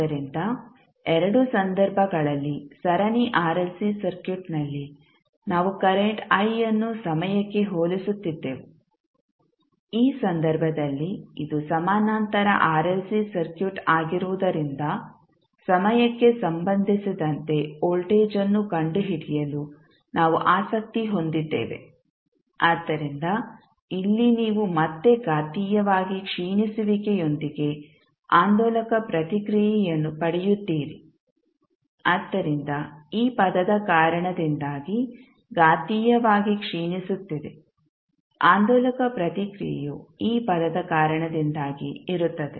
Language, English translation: Kannada, So in both of the cases like in case of series RLC circuit, we were comparing the current i with respect to time, in this case since it is a parallel RLC circuit we are interested in finding out the voltage with respect to time, so here you will again get the oscillatory response with exponentially decaying, so exponentially decaying because of this term oscillatory response would be because of this term